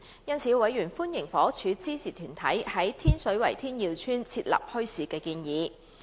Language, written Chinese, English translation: Cantonese, 因此，委員歡迎房屋署支持團體在天水圍天耀邨設立墟市的建議。, They welcomed the decision of the Housing Department to support an organizations proposal for setting up a bazaar in Tin Yiu Estate Tin Shui Wai